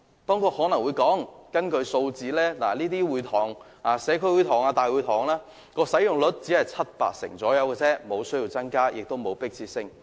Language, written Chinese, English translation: Cantonese, 當局可能會說，根據數字顯示，這些社區會堂或大會堂的使用率只是七八成左右，所以沒有增加的需要，亦沒有迫切性。, The authorities may argue that according to statistics the utilization rate of the relevant community halls or town halls is just around 70 % or 80 % and there is thus no need or urgency to increase the relevant provision